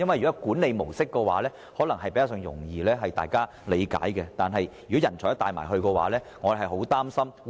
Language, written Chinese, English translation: Cantonese, 若是管理模式，大家可能較易理解，但若要連人才也帶走，則會令人十分擔心。, It may be easier to understand if he is actually talking about the adoption of Hong Kongs management mode but it will be very worrying if the proposal involves also the transfer of our talents